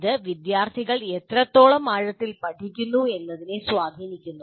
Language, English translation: Malayalam, And also it influences how much and how deeply the students learn